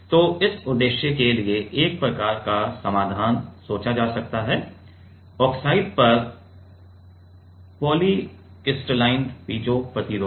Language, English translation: Hindi, So, one kind of solution can be thought for this purpose is polycrystalline piezo resistors on oxide